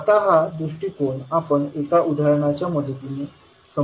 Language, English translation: Marathi, Now this particular approach let us try to understand with the help of one example